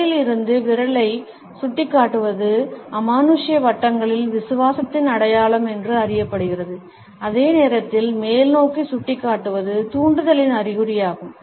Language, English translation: Tamil, Pointing the finger away from the body is known in occult circles as the sign of faith, while pointing upwards is the sign of persuasion